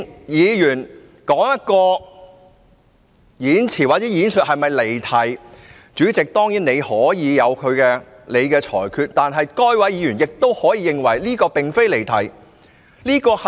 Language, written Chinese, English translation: Cantonese, 議員的發言是否離題，主席當然可以裁決，但議員亦可以認為他並無離題。, Of course the President can rule whether a Member has digressed but the Member can also disagree with you